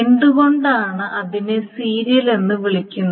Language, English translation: Malayalam, Why is it called a serial